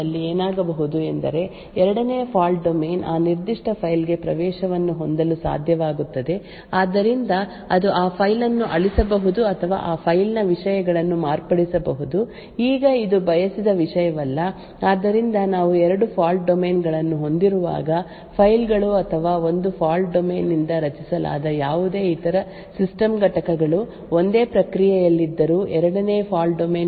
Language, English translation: Kannada, Now what could happen in such a case is that the second fault domain would also be able to have access to that particular file, so it could for example delete that file or modify that the contents of that file now this is not what is wanted, so whenever we have two fault domains we need to ensure that files or any other system component that is created by one fault domain is not accessible by the code present in the second fault domain even though all of them are in the same process